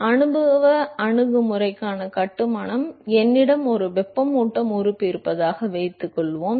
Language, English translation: Tamil, So, suppose to the construction for empirical approach is: suppose I have a heating element